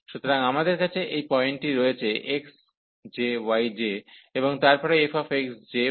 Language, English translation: Bengali, So, we have this point like x j and y j, and then f x j, y j